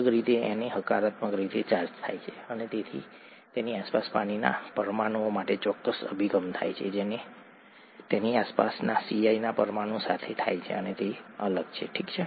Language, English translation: Gujarati, Na is positively charged and therefore a certain orientation happens to the molecules of water that surround it which is different from the orientation that happens to the molecules of Cl that surrounds it, okay